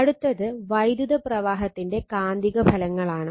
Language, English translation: Malayalam, So, next is your the magnetic effects of electric current